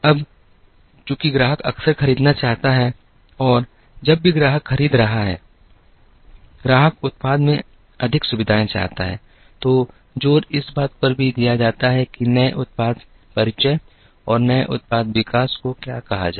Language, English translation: Hindi, Now, since the customer wants to buy frequently and whenever the customer is buying, the customer wants more features in the product, the emphasis also shifted to what is called new product introduction and new product development